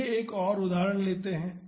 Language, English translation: Hindi, Let us do one more example